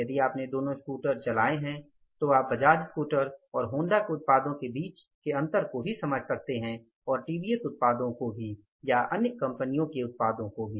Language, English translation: Hindi, If you have driven both the scooters then you can understand the difference in the Baja scooter also and the Honda's products also, TBS products also or the other companies products also